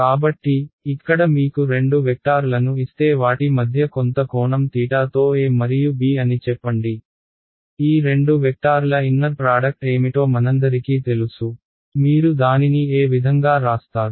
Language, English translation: Telugu, So, if I give you two vectors over here say a and b with some angle theta between them ,we all know the inner product of these two vectors is; what would you write it as